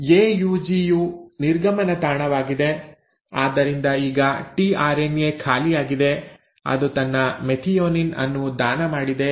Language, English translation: Kannada, AUG is the exit site, so now the tRNA is empty; it has donated its methionine